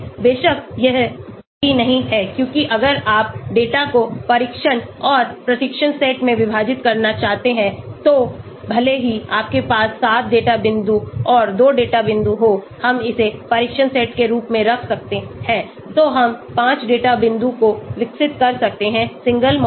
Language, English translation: Hindi, Of course, that is not correct because if you want to divide the data into training and test sets so even if you have 7 data points and 2 of the data points we can put it as test set so 5 data points we can develop a single model